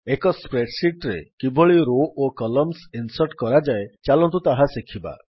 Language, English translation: Odia, So let us start our tutorial by learning how to insert rows and columns in a spreadsheet